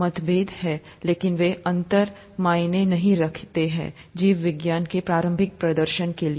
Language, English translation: Hindi, There are differences but those differences will not matter for an initial exposure to biology